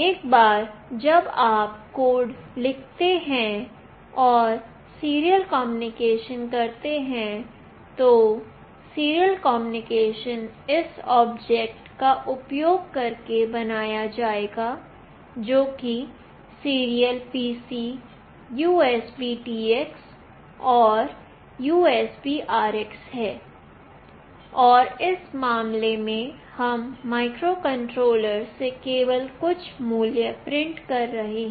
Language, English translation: Hindi, Once you write a code and make the serial communication, the serial communication will be made using this object that is serial PC USBTX and USBRX and here in this case, we are just printing some value from the microcontroller